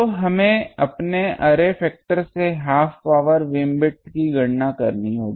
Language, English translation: Hindi, So, we will have to calculate the half power beamwidth from our array factor